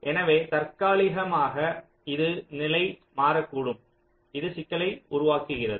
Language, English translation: Tamil, so temporarily they might, the status might change and that creates the problem, right